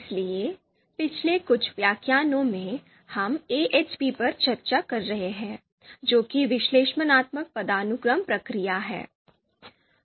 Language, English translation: Hindi, So in previous few lectures, we have been discussing AHP that is Analytic Hierarchy Process